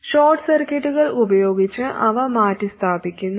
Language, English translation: Malayalam, They are replaced by short circuits